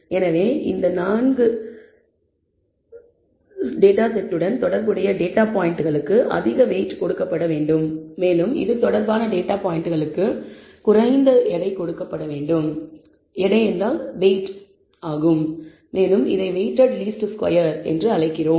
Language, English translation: Tamil, So, data points which are corresponding to these 4 should be given more weight and data points corresponding to this should be given less weight and we call that a weighted least squares